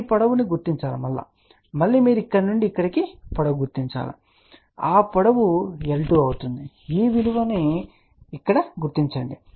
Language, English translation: Telugu, Read this length ok again you can read the length from here to here and that length is l 2 which you locate here